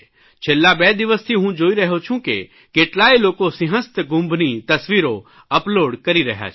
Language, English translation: Gujarati, I have been noticing for the last two days that many people have uploaded pictures of the Simhastha Kumbh Mela